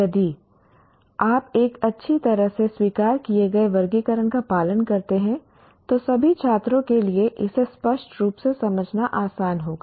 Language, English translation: Hindi, If you follow a well accepted taxonomy, then it will be easy for all the stakeholders to understand it clearly